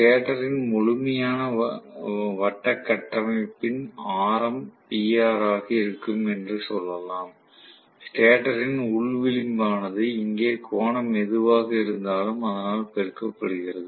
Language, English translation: Tamil, So, I can say PR is going to be whatever is the radius of the complete circular structure of the stator, right, the inner rim of the stator multiplied by whatever is the angle here